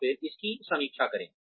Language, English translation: Hindi, And then, review it